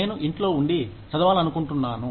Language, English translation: Telugu, I just want to stay at home and read